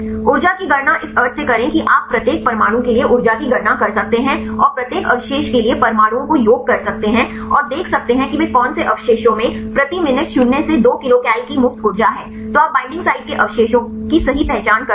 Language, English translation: Hindi, Calculate the energy like this sense you can calculate the energy for each atom and sum up the atoms for each residue and see which residues they have the free energy of minus 2 cal kilocal per mole then you identify the binding site residues right